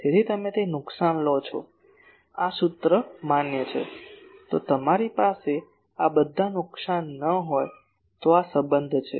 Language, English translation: Gujarati, So, you take those losses this is this formula is valid , if you have all these losses are not there, then this relationship